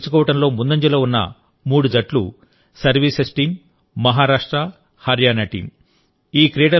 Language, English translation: Telugu, The three teams that were at the fore in winning the Gold Medal are Services team, Maharashtra and Haryana team